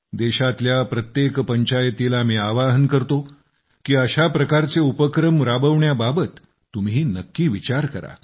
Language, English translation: Marathi, I appeal that every panchayat of the country should also think of doing something like this in their respective villages